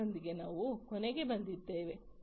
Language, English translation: Kannada, With this we come to an end